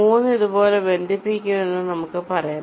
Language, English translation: Malayalam, lets say three will be connected like this: three is connected